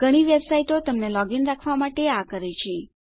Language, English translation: Gujarati, A lot of websites to do this to keep you logged in